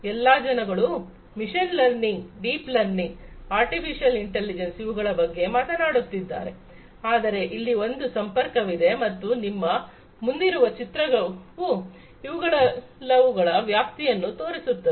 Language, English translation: Kannada, You know all the people are talking about machine learning, deep learning, artificial intelligence, but there is a you know there is a linkage and this is this figure in front of you shows you know what is the scope of each of these